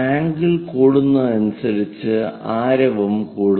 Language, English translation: Malayalam, They begin as angle increases the radius also increases